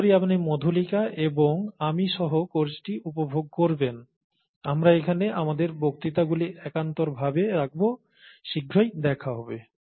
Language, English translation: Bengali, Hope you enjoy the course, with Madhulika and I, we will alternate our lectures here, and see you soon